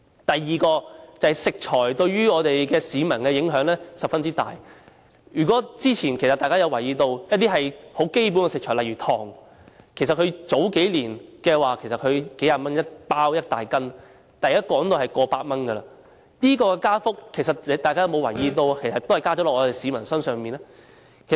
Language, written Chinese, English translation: Cantonese, 第二，食材對於市民的影響十分大，之前如果大家有留意，一些基本食材，例如糖，數年前只是數十元一斤一大袋，但現在已經過百元，大家有沒有留意這個加幅最終是由市民負擔。, Second the price of foodstuff has a great impact on the public . The price of some basic foodstuff such as sugar has increased from several tens of dollars to over a hundred dollars a catty . The price increase will ultimately be borne by the public